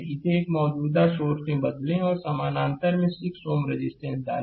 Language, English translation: Hindi, You convert it to a current source and in parallel you put 6 ohm resistance